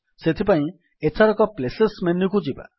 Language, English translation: Odia, For that lets go to Places menu this time